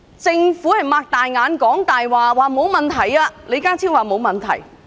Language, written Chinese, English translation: Cantonese, 政府睜眼說瞎話，聲稱沒問題，李家超也說沒問題。, While the Government says that everything will just be fine it is lying through its teeth and John LEE has made the same claim too